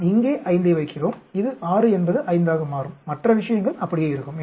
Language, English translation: Tamil, So, what we do, we put here 5, this will 6 will become 5, other things will remain same